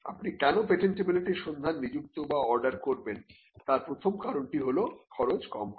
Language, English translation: Bengali, The first reason why you would engage or order a patentability search is to save costs